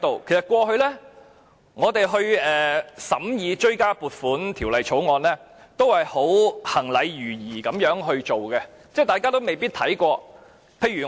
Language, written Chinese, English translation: Cantonese, 其實，過去我們審議追加撥款條例草案，一向都是行禮如儀，大家都未必看清楚文件。, In fact our scrutiny of the Supplementary Appropriation Bill has always been a mere ritual and we might not read the papers carefully